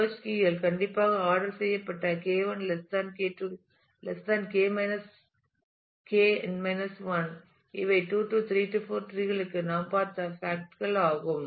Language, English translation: Tamil, And the search keys are strictly ordered K 1 < K 2 < K n 1 these are facts that we have seen for 2 3 4 tree